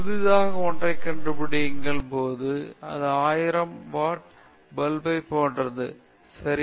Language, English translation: Tamil, When you are finding something new, it’s like thousand watt bulb; isn’t it